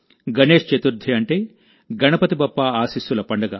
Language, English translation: Telugu, Ganesh Chaturthi, that is, the festival of blessings of Ganpati Bappa